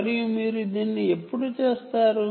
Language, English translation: Telugu, and when will you do this